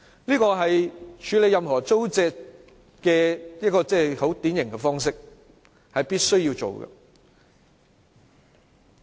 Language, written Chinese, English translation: Cantonese, 這個是處理土地租借的典型方式，是必須做的。, This is a usual practice of land leasing . It cannot be dispensed with